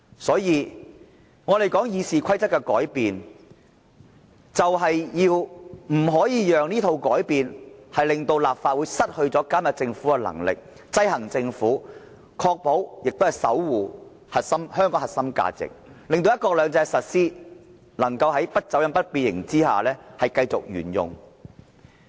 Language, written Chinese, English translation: Cantonese, 所以，我們說《議事規則》的改變，就是不可以讓這套改變，令立法會失去監察政府、制衡政府的能力，確保香港這核心價值得到守護，令"一國兩制"能夠在不走樣、不變形之下繼續沿用。, Hence when we talk about the changes made to RoP we are saying that we should not let these changes take away the power of the Legislative Council to monitor or check and balance the Government; we should ensure that this core value of Hong Kong is preserved so that one country two systems is continued to be adopted without any distortion or misrepresentation